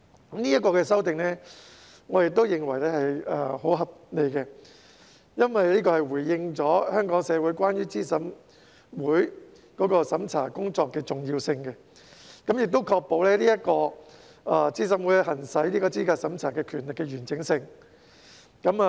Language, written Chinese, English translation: Cantonese, 我認為這項修訂十分合理，因為這反映了資審會審查工作的重要性，並確保資審會行使資格審查權力的完整性。, I think these amendments are most reasonable because they reflect the importance of the vetting duties of CERC and ensure the integrity of CERCs powers to vet the eligibility of candidates